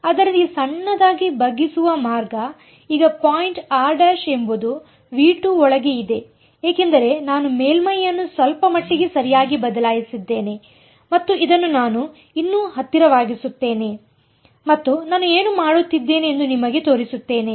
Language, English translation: Kannada, So, the way to make this small bend is now the point r prime is inside V 2 because I have changed the surface just a little bit right and this I will zoom in and show you what I am doing is something like this